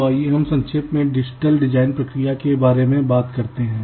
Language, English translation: Hindi, so lets briefly talk about the digital design process